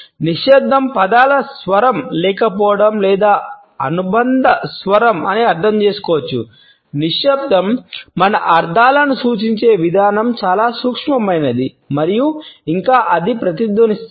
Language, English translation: Telugu, Silence can be understood as a vocal absence of words or any associated voice yet the way the silence represents our meanings is very subtle and yet it is resonant